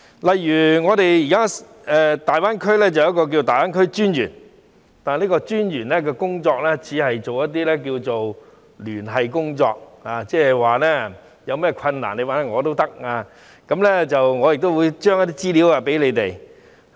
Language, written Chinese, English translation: Cantonese, 例如我們現時有一名粵港澳大灣區發展專員，但這名專員只是做一些聯繫工作，如果我們有困難可以找他，他亦會將資料交給我們。, For instance we now have a Commissioner for the Development of the Guangdong - Hong Kong - Macao Greater Bay Area but this Commissioner is dedicated to only some liaison work . Whenever we encounter any difficulties we can ask him for help and he will provide us with some relevant information